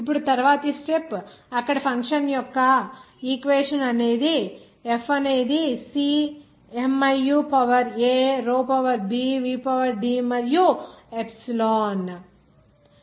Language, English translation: Telugu, Now the next step is the function of the equation in the form there F is equal to Cmiu to the power a row to the power b v to the power c D to the power d epsilon to the power e